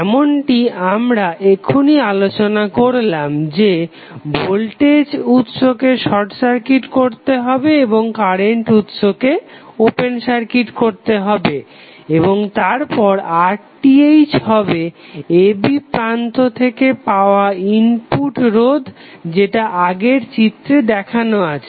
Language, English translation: Bengali, As we just discussed that voltage source would be short circuited and current source will be open circuited and then R Th is the input resistance of the network looking between the terminals a and b that was shown in the previous figure